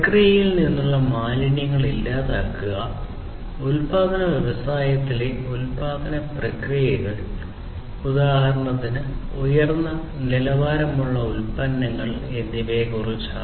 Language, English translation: Malayalam, So, it is all about eliminating wastes from the processes, manufacturing processes in manufacturing industries for instance for having higher quality products